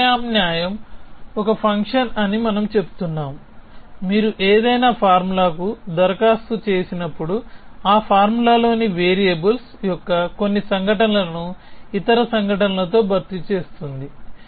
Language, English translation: Telugu, So, we are saying the substitution is a function which when you applied to any formula, then it replaces some occurrences of variables in that formula with other occurrences essentially